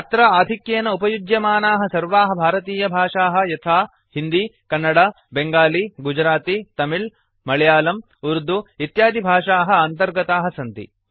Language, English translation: Sanskrit, This includes most widely spoken Indian languages including Hindi, Kannada, Bengali, Gujarati, Tamil, Telugu, Malayalam, Urdu etc